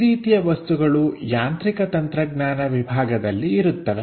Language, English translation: Kannada, Such kind of objects exist for mechanical engineering